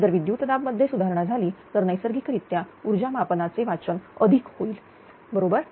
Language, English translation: Marathi, If voltage in improves then naturally energy meter reading will be higher right